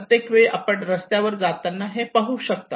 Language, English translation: Marathi, Every time you go on road you can see this one